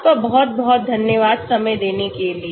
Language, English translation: Hindi, Thank you very much for your time